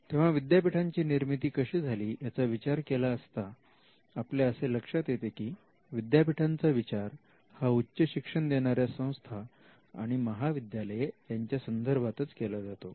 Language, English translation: Marathi, So, if you look at how universities have evolved and when we refer to university, we refer to university’s higher educational institutions and colleges as well